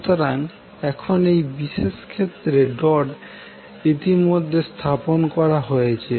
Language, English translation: Bengali, So now in this particular case the dots are already placed